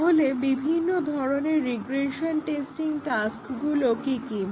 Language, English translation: Bengali, So, what are the different regression testing tasks